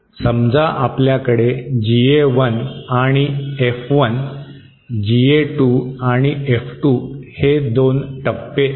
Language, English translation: Marathi, Suppose, we have two one stage, GA1 and F1, GA 2 and F2